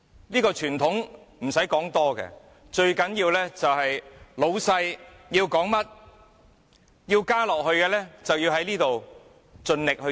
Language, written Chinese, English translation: Cantonese, 這個傳統，甚麼都不重要，最重要是老闆說甚麼，想要甚麼，我們便要在這裏盡力做。, By this tradition nothing is more important than the words from the boss and we have to try our best to do what the boss says and achieve what he wants